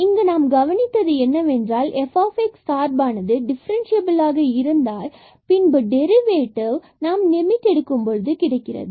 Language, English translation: Tamil, So, what we have observed that if the function is differentiable then the derivative f prime x this is the derivative here when take the limit